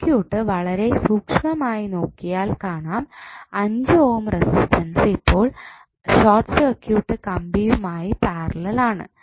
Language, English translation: Malayalam, If you see the circuit carefully you will see that 5 ohm is now in parallel with the short circuit wire